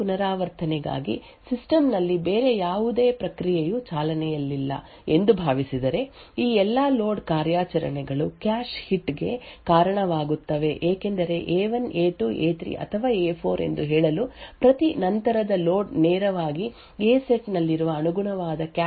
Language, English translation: Kannada, Now, for the second iteration onwards assuming that there is no other process running in the system all of these load operations would result in cache hits the reason being that every subsequent load to say A1 A2 A3 or A4 would directly read the data from the corresponding cache line present in the A set similarly every subsequent load to B1 B2 B3 or B4 would directly read the data from this B set